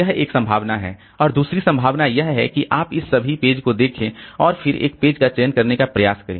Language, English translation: Hindi, And the other possibility is you look into all these pages and then try to select a page